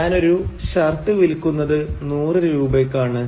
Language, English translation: Malayalam, And I am selling one shirt for 100 rupees